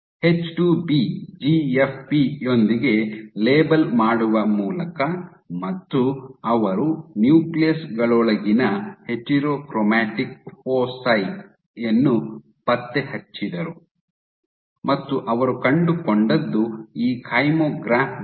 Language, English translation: Kannada, By labeling with H2B GFP, and tracking foci they tracked the heterochromatic foci within the nuclei and what they found was this kymographs